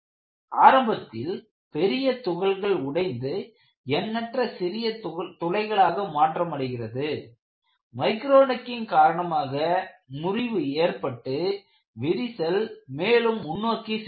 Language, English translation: Tamil, Initially, the large particles break, then you have myriads of holes formed, they fail by micro necking and the crack moves forward